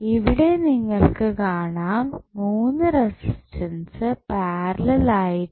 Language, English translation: Malayalam, So, here you will see all the 3 resistances are in parallel